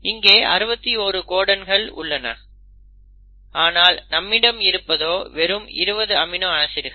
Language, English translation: Tamil, Now that is, again brings one interesting point; you have 61 codons, but you have only 20 amino acids